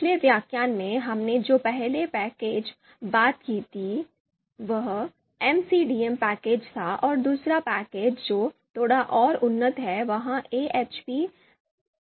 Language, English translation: Hindi, So first package that we talked about in in the in previous lecture was the MCDA package and the second package which is slightly more advanced is ahp 2 package